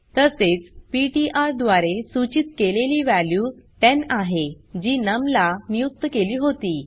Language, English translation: Marathi, Also the value pointed by ptr is 10 which was assigned to num